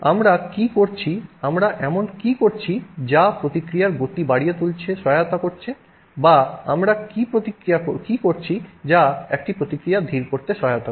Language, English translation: Bengali, What are we doing that helps speed up a reaction or what are we doing that helps slow down a reaction